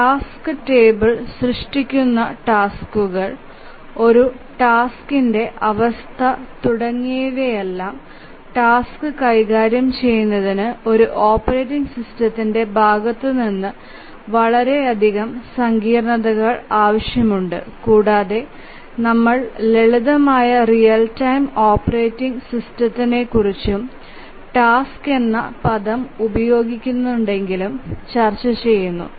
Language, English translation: Malayalam, The task table, creating task, task state and so on, as we know from our knowledge from a basic operating system, task handling requires a lot of sophistication on the part of a operating system and we are now discussing the simplest real time operating system and here even though we use the term tasks but then this may be just running a program